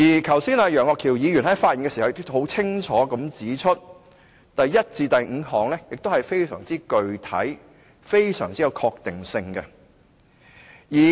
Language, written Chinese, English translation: Cantonese, 剛才楊岳橋議員在發言時也清楚地指出，第一項至第五項是非常具體及有確定性的。, Just now Mr Alvin YEUNG also clearly pointed out that Article 791 to Article 795 are very specific and carry certainty